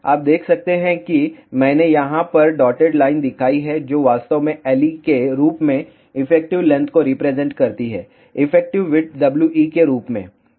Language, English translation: Hindi, You can see that I have shown dotted line over here which actually represents effective length as L e, effective width as W e